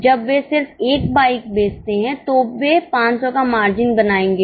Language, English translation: Hindi, So if they just make one bike, they will only earn 500